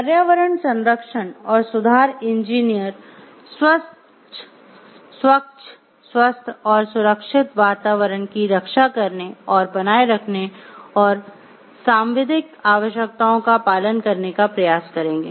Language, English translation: Hindi, Environment protection and improvement engineers shall strive to protect and maintain clean healthy and safe environments and comply with the statutory requirements